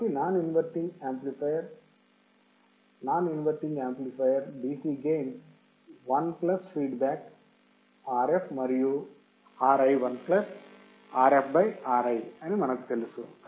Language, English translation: Telugu, So, non inverting amplifier non inverting amplifier, what is the dc gain 1 plus feedback Rf and Ri1 plus Rf by Ri this we know